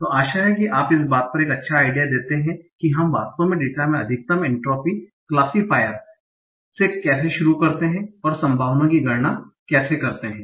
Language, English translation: Hindi, So hope that gives you a good idea on how do we actually start building a maximum entropy classifier from some observations in the data and how do we compute the probability